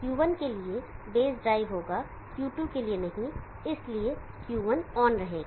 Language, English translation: Hindi, There will be base drive for Q1 not for Q2 and therefore, Q1 will be on